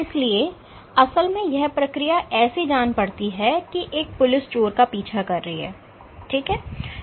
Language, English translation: Hindi, So, the process literally in acts like a cop chasing a thief ok